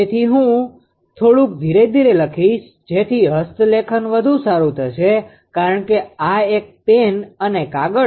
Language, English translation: Gujarati, So, x 1 is equal to I will write little bit slowly such that handwriting will be better right because this is a pen and paper ah